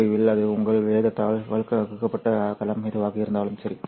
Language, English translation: Tamil, It would be whatever the width divided by your velocity